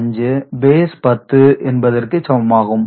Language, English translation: Tamil, 625 in base 10